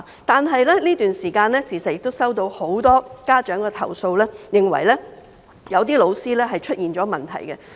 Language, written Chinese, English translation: Cantonese, 但是，在這段時間，我時常收到很多家長的投訴，認為有些教師出現問題。, Recently however I have received complaints from many parents that something is amiss with some teachers